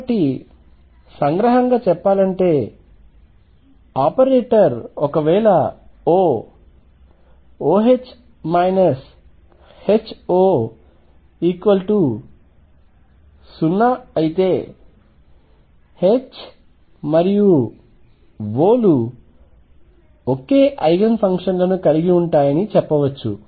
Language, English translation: Telugu, So, let us just summaries this by saying that if for an operator O, O H minus H O is 0 then H and O have the same Eigen functions